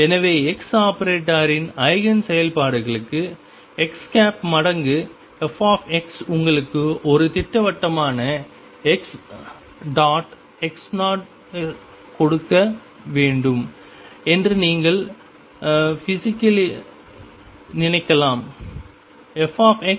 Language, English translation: Tamil, So, you can physically think that for Eigen functions of x operator x times it is fx should give you a definite x x 0